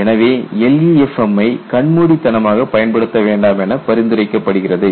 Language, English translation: Tamil, So, the recommendation is do not go and apply LEFM blindly